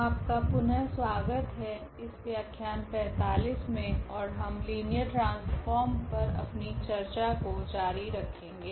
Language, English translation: Hindi, And this is lecture number 45 and we will be talking about or continue our discussion on Linear Transformations